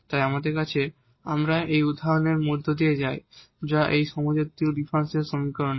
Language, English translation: Bengali, So, we go through this example which is of this homogeneous differential equation